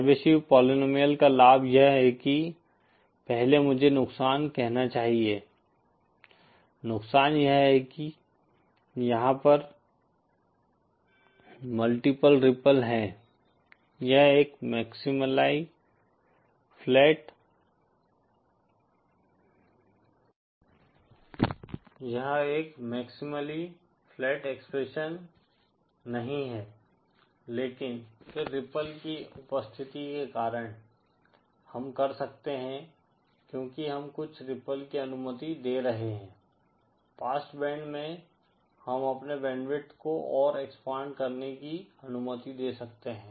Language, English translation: Hindi, The advantage of the Chebyshev polynomial is that, first I should say the disadvantage, the disadvantage is that there are multiple ripple, it is not a maximally flat expression, but then because of the presence of ripple, we can because we are allowing some ripples in the past band, we can allow our band width to be further expanded